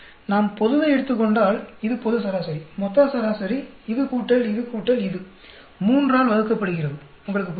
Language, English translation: Tamil, Then if we took the global, this is the global average, total average, this plus this plus this divided by 3, do you understand